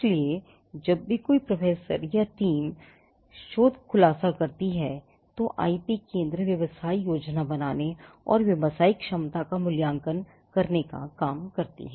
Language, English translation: Hindi, So, whenever a professor or a research team makes a disclosure it is the job of the IP centre to make a business plan and to evaluate the commercial potential